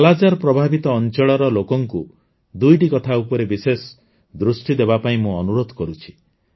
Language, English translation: Odia, I also urge the people of 'Kala Azar' affected areas to keep two things in mind